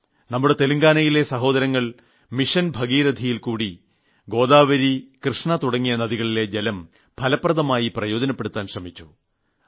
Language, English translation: Malayalam, Our farmer brothers in Telangana, through 'Mission Bhagirathi' have made a commendable effort to optimally use the waters of Godavari and Krishna rivers